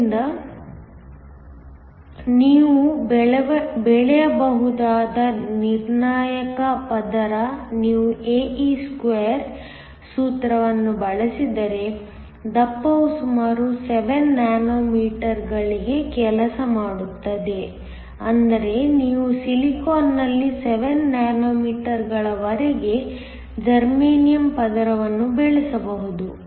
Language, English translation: Kannada, So, the critical layer that you can grow, the thickness if you use the formula ae2 this works out to around 7 nanometers which means, you can grow a layer of germanium on silicon up to 7 nanometers